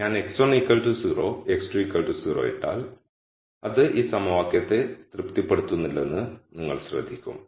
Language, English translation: Malayalam, So, you will notice that if I put x 1 equals 0 x 2 equal to 0 it does not satisfy this equation